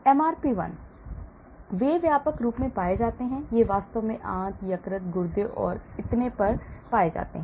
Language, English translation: Hindi, MRP 1; they are found widespread, these are found in intestine, liver, kidney and so on actually